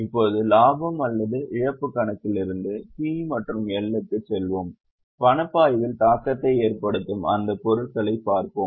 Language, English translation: Tamil, Now let us go back to P&L from profit and loss account, have a look at those items which will have impact on cash flow